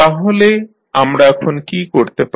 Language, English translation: Bengali, So, what you can do now